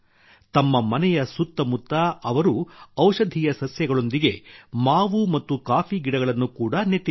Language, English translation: Kannada, Along with medicinal plants, he has also planted mango and coffee trees around his house